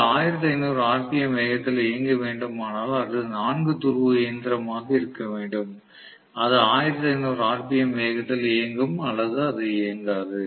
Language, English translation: Tamil, If it has to run at 1500 rpm it has to be a 4 pole machine, it will run at 1500 rpm or not run at all